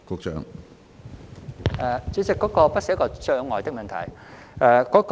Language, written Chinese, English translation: Cantonese, 主席，那不是一個障礙的問題。, President it is not a matter of barrier